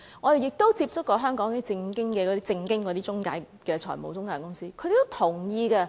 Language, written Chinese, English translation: Cantonese, 我們亦曾接觸香港那些正當的財務中介公司，他們也是同意的。, We have also contacted the law - abiding financial intermediary companies in Hong Kong and they also agree with the proposal